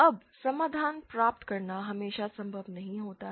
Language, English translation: Hindi, Now it is not always possible to obtain a solution